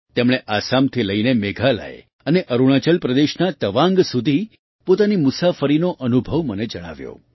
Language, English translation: Gujarati, She narrated me the experience of her journey from Assam to Meghalaya and Tawang in Arunachal Pradesh